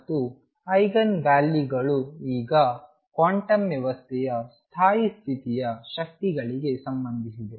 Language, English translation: Kannada, And eigenvalues are now related to the stationary state energies of a quantum system